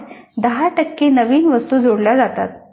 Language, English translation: Marathi, Then 10% of new items are added